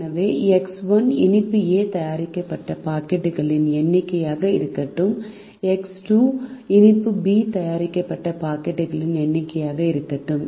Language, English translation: Tamil, so we start by saying: let x one be the number of packets of sweet a made, let x two be the number of packets of sweet b made